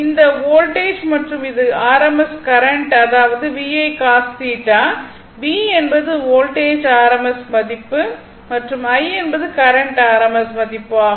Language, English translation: Tamil, This voltage and this is rms current that means, it is VI cos theta, whereas V is the rms value of the voltage, and I is the rms value of the current multiplied by the cos theta